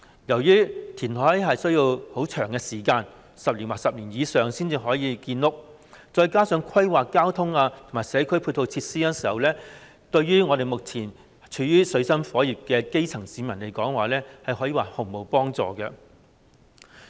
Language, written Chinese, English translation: Cantonese, 由於填海需要很長時間，要10年或更長時間才可以建屋，再加上要規劃交通和社區配套設施，故此，有關建議對於目前處於水深火熱的基層市民而言，可說是毫無幫助。, Since reclamation is time consuming it often takes 10 years or more before housing units can be built on reclaimed land . Moreover taking the planning for transportation and community facilities into account the proposal offers no relief at all to the plight of the struggling grass roots